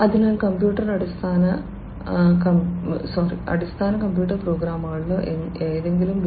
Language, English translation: Malayalam, So, you know so in the computer basic computer programming or fundamental computer courses in any B